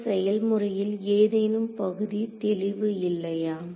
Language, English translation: Tamil, So, is there any part of this procedure which is not clear